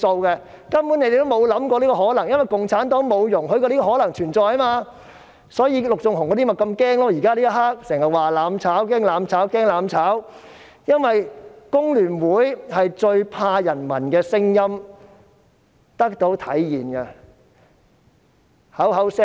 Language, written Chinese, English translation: Cantonese, 他們根本無法想象這個可能性，因為共產黨不容許這個可能性存在，所以陸頌雄議員那些人現時便這麼害怕，經常說害怕"攬炒"，因為工聯會最怕人民的聲音得到體現。, They find such a possibility unimaginable because CPC does not allow such a possibility to exist . That is why those people like Mr LUK Chung - hung are so afraid now . They often say they are afraid of mutual destruction because FTU is most worried that peoples voices can be turned into practical deeds